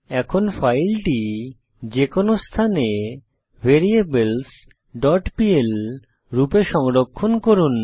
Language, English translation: Bengali, Now save this file as variables.pl at any location